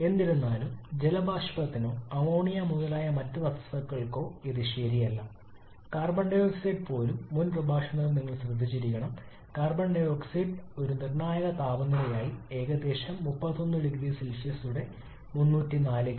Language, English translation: Malayalam, However that is not true for water vapor or certain other substances like ammonia etc even carbon dioxide you must have noticed during the previous lecture carbon dioxide as a critical temperature of only about a 31 degree Celsius about 304 kelvin